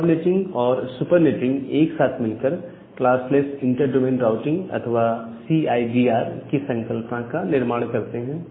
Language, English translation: Hindi, So, this concept of sub netting and super netting together they form this concept of classless inter domain routing or the CIDR